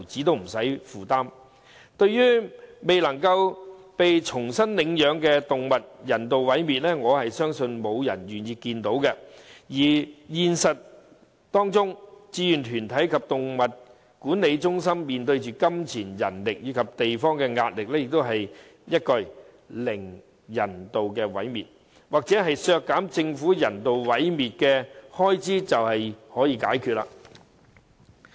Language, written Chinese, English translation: Cantonese, 對於未能被重新領養的動物遭人道毀滅，我相信沒有人會願意看到；而在現實中，志願團體及動物管理中心面對資金、人手及選址的壓力，亦不是一句"零人道毀滅"或削減政府人道毀滅的開支便可解決。, I believe no one would wish to see the euthanization of animals not being adopted . However the reality is that voluntary groups and the Animal Management Centres have to face problems of funding manpower and accommodation which cannot be solved by merely advocating zero euthanasia of animals or cutting the Governments expenditure on animal euthanasia